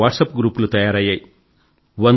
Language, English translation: Telugu, Many WhatsApp groups were formed